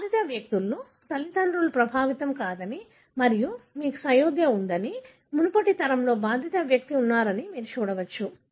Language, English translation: Telugu, You can see that affected persons parents are not affected and you have consanguinity, there is a affected person in the previous generation